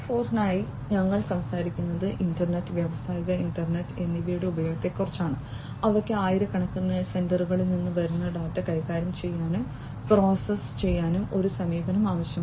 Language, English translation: Malayalam, 0, we are talking about use of internet, industrial internet etcetera, which require an approach to manage and process data coming from thousands of sensors for pcs perceptions